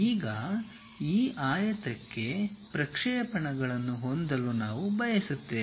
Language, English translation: Kannada, Now, we would like to have projections for this rectangle